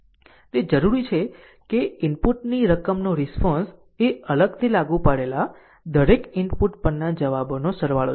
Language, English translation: Gujarati, It requires that the response to a sum of the input right is the sum of the responses to each input applied separately